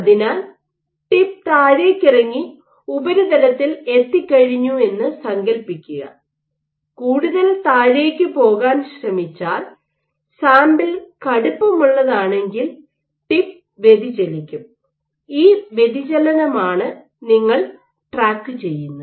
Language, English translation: Malayalam, So, as the tip is coming down imagine once the tip hits the surface, if it tries to go down more if the sample is stiff the tip will get deflected and it is this deflection that you are tracking